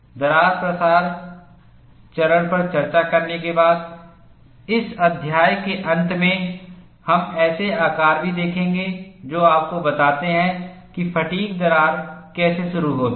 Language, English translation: Hindi, After discussing the crack propagation phase, towards the end of this chapter, you would also see models that tell you how a fatigue crack gets initiated